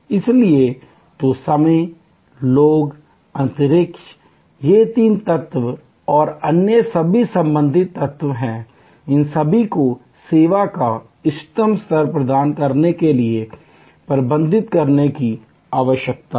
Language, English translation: Hindi, So, time, people, space all three elements and other related elements, they all need to be managed to provide the optimum level of service